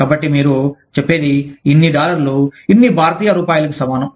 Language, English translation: Telugu, So, you say, so many dollars, equivalent to, so many Indian rupees